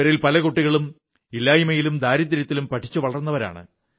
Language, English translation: Malayalam, Many of these children grew up amidst dearth and poverty